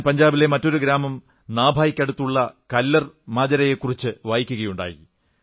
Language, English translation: Malayalam, I have also read about a village KallarMajra which is near Nabha in Punjab